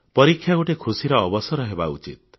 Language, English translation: Odia, Exams in themselves, should be a joyous occasion